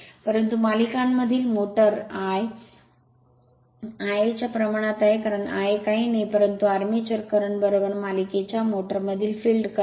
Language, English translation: Marathi, But in the series motor phi is proportional to I a, because I a nothing, but the armature current is equal to field current in series motor